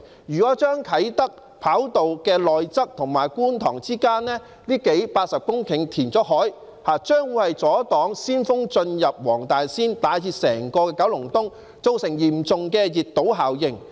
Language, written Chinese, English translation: Cantonese, 如果把啟德跑道的內側與觀塘之間這80多公頃的地方填海，將會阻擋鮮風進入黃大仙以至整個九龍東，造成嚴重的熱島效應。, Reclaiming this area measuring some 80 hectares between the inner part of the Kai Tak runway and Kwun Tong will block the fresh air from entering Wong Tai Sin and even the entire Kowloon East thus producing a serious heat island effect